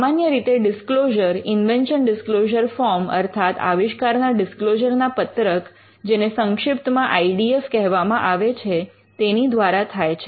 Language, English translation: Gujarati, Now, normally you would expect the disclosure to be made, in what is called an invention disclosure form or IDF for short